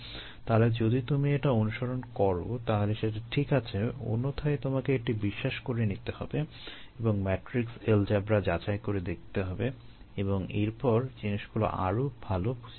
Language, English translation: Bengali, otherwise you need to take it on ah belief and then go and check the matrix algebra and then understand these things better